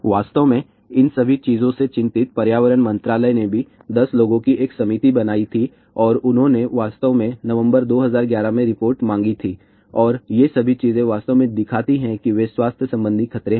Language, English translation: Hindi, Environment ministry had also formed a committee of 10 people and they had actually submitted the report in November 2011 and all these things actually show that they are associated health hazards